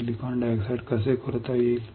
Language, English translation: Marathi, When I etch silicon dioxide what can I see